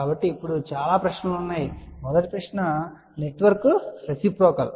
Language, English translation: Telugu, So, there are now, several questions, the first question is is this network reciprocal